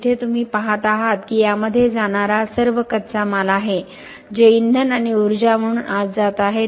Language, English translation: Marathi, So here you see all the raw materials going in this are all the raw materials which are going in, this is all what is coming in as fuel and energy